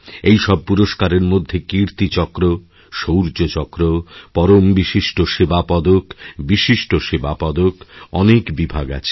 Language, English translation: Bengali, There are various categories of these gallantry awards like Kirti Chakra, Shaurya Chakra, Vishisht Seva Medal and Param Vishisht Seva Medal